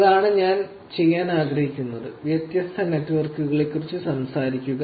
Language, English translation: Malayalam, That is what I want to do, actually, talk about different networks